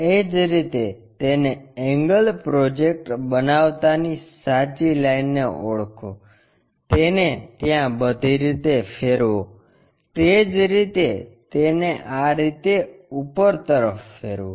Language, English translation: Gujarati, Similarly, identify true line making an angle project it all the way there rotate it, similarly project this one all the way up rotate it